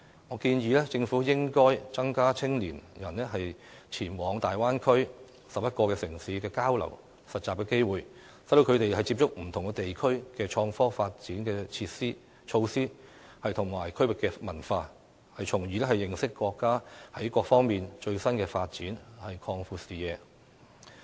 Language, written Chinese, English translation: Cantonese, 我建議政府應增加青年人前往大灣區11個城市交流及實習的機會，讓他們接觸不同地區的創科發展措施及區域文化，從而認識國家在各方面的最新發展，擴闊視野。, I suggest that the Government should provide more opportunities for young people to go to the 11 cities in the Bay Area through exchange and internship programmes which will allow them to come into contact with the innovation and technology development measures and regional cultures of different places so as to acquaint them with the latest developments of our country on all fronts and broaden their horizons